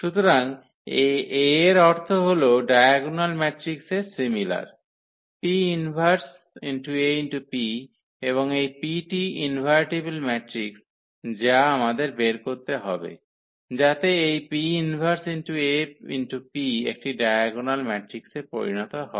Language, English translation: Bengali, So, the meaning this A is similar to the diagonal matrix here; AP inverse AP and this P is invertible matrix which we have to find, so that this P inverse AP becomes a diagonal matrix